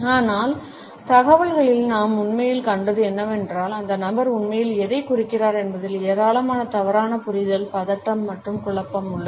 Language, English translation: Tamil, But what we have actually seen in the data, is that there is an immense amount of misunderstanding, anxiety and confusion on what did that person really mean